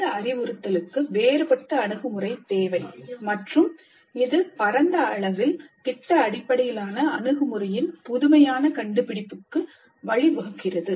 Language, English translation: Tamil, These need a different approach to instruction and that has led to the innovation of project based approach on a wide scale